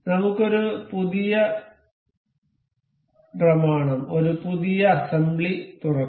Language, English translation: Malayalam, Let us open a new document, new assembly